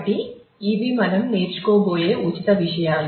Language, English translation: Telugu, So, these are the free topics to be covered